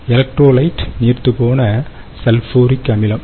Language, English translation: Tamil, ok, the electrolyte is dilute sulfuric acid